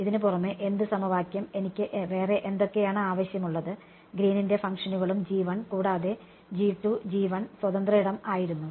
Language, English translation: Malayalam, In addition to this what equation, I mean what else I needed was the Green’s functions G 1 and some G 2, G 1 was free space